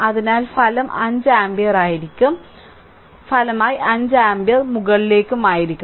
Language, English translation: Malayalam, So, resultant will be your 5 ampere right; resultant will be 5 ampere upward